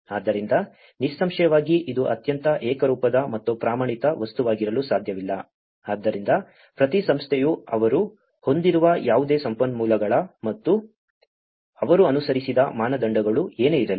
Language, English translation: Kannada, So, obviously, it cannot be a very uniform and standardized material, so each organization whatever the resources they have and whatever the standards they have followed